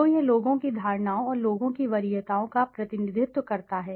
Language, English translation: Hindi, So it represents the perceptions of people and the preferences of people